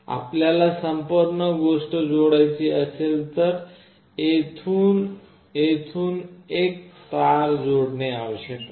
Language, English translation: Marathi, If you want to connect the whole thing you have to connect a wire from here till here